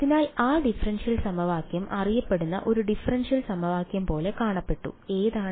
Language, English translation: Malayalam, So, and that differential equation looked like a well known differential equation which is